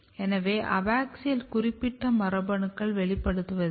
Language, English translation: Tamil, So, there is no expression of abaxial specific genes